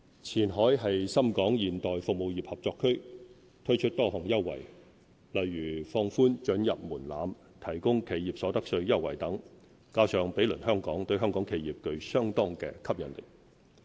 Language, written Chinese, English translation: Cantonese, 前海是深港現代服務業合作區，推出多項優惠，如放寬准入門檻、提供企業所得稅優惠等，加上毗鄰香港，對香港企業具相當吸引力。, Qianhai serves as the Shenzhen - Hong Kong modern service industry cooperation zone . With a number of preferential arrangements such as easing market access and providing concessions on enterprise income tax as well as being adjacent to Hong Kong Qianhai is attractive to Hong Kong enterprises